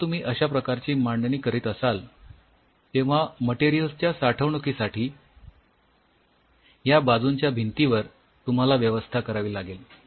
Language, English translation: Marathi, While you are planning this setup on the walls of these sides you will have storage of materials